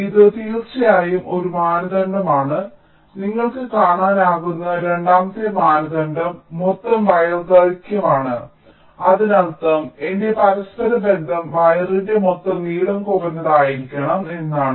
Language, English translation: Malayalam, and the second criteria, as you can see, is the total wire length, which means my interconnection should be such that the total length of the wire should be minimum